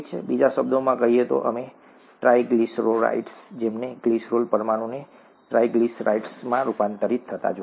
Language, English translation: Gujarati, In other words, we, we saw the triglyceride, right, the glycerol molecule being converted into triglycerides